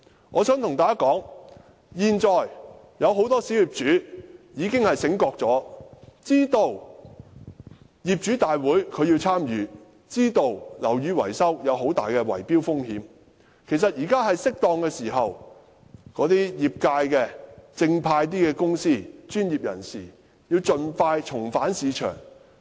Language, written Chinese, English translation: Cantonese, 我想對大家說，現在很多小業主已經覺醒，知道必須參與業主大會，知道樓宇維修有很大的圍標風險，其實現在是適當時候，業界內正派的公司和專業人士應盡快重返市場。, I wish to tell everybody that at present many small property owners have awaken to the necessity of participating in owners general meetings and realized that building maintenance faces a high risk of bid - rigging . Actually it is now opportune for upright companies and professionals in the sector to return to this market as soon as possible